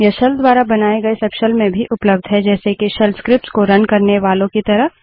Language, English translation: Hindi, These are also available in subshells spawned by the shell like the ones for running shell scripts